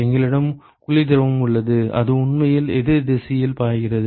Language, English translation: Tamil, And we have cold fluid which is actually flowing the opposite direction